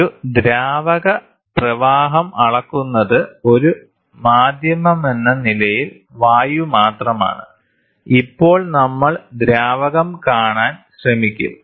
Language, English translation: Malayalam, A fluid flow measurement till now what we saw was only air as a media, now we will try to see fluid